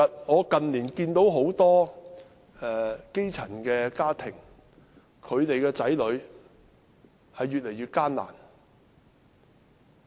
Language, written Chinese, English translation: Cantonese, 我近年看到很多基層家庭子女的情況越來越艱難。, In recent years I have seen increasing difficulties for children from grass - roots families